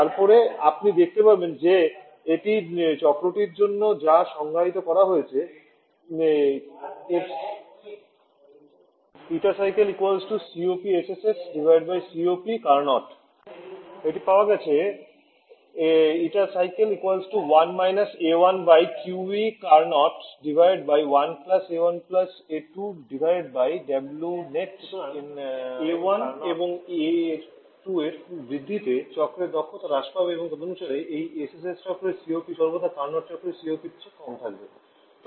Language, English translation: Bengali, So any increasing A1 A2 will reduce the efficiency of the cycle and accordingly the COP for this SSS cycle will always be less than COP for the Carnot cycle